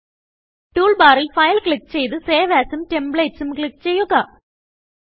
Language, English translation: Malayalam, From the toolbar, click File, Save As and File